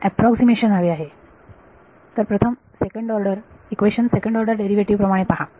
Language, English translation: Marathi, I want an approximation see the first the wave equation as second order derivatives